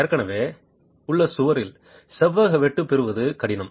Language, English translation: Tamil, It is difficult to get a rectangular cut if in an existing wall